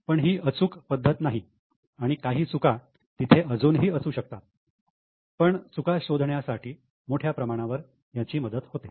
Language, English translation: Marathi, Of course it is not a foolproof method, there could be still some errors but largely it helps us in finding out many of the errors